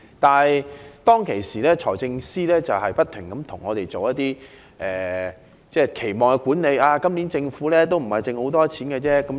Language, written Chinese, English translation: Cantonese, 當初，財政司司長不斷向我們進行期望管理，說今年政府盈餘不多。, Before Budget delivery the Financial Secretary had constantly managed our expectation by claiming that the fiscal surplus for this year would not be abundant